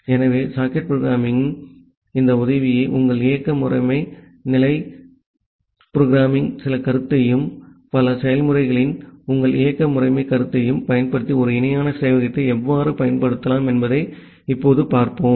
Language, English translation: Tamil, So, we will now see that how you can actually implement a parallel server using this help of socket programming as well as some concept of your operating system level programming and your operating system concept of multiple processes